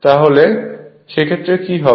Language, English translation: Bengali, And in that case what will happen